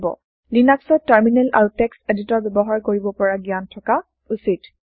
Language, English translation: Assamese, You must have knowledge of using Terminal and Text editor in Linux